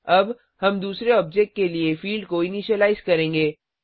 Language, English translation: Hindi, Now, we will initialize the fields for the second object